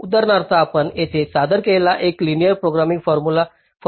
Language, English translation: Marathi, for example, the one that we, that you present here, uses a linear programming formulation